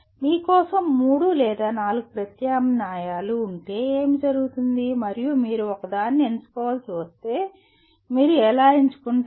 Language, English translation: Telugu, What happens is if you have three or four alternatives for you and if you have to select one, how do you select